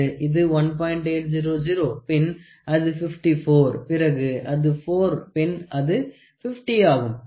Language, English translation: Tamil, 800 then it is 54 then it is 4 then it is 50, ok